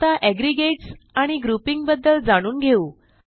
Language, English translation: Marathi, Next, let us learn about aggregates and grouping